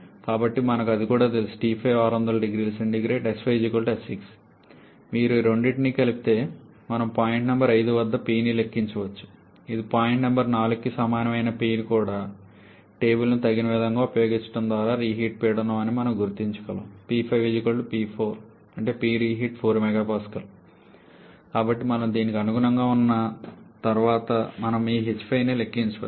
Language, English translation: Telugu, So, we also know that T 5 is equal to 600 degree Celsius and S 5 is equal to S 6 if you combine these two we can calculate P at point number 5 which is also P equal to point number 4 that is your reheat pressure by using suitable use of the tables we can identify this to be approximately equal to 4 mega Pascal